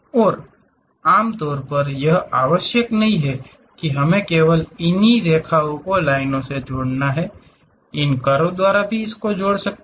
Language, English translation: Hindi, And, usually it is not necessary that we have to connect these vertices only by lines, they can be connected by curves also